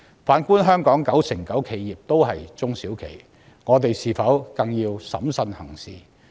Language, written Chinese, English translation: Cantonese, 反觀香港九成九企業也是中小企，我們是否更要審慎行事？, In the case of Hong Kong as 99 % of enterprises are small and medium enterprises should we not act in a more prudent manner?